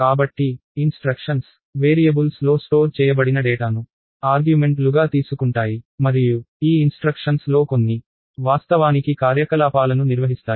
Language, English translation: Telugu, So, instructions take the data that is stored in the variables as arguments and some of these instructions actually perform operations